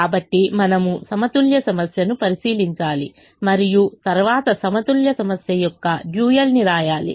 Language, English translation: Telugu, so we look at the balanced problem and then we write the dual of the balanced problem